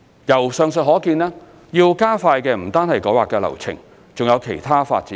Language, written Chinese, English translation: Cantonese, 由上述可見，要加快的不單是改劃流程，還有其他發展程序。, As seen from the above it is not only the rezoning process but also other development procedures that have to be streamlined